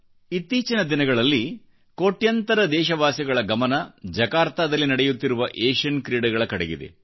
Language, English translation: Kannada, The attention of crores of Indians is focused on the Asian Games being held in Jakarta